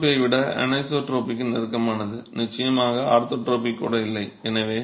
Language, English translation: Tamil, So it brings in complexities, it's closer to anisotropy than isotropy for sure, not even orthotropic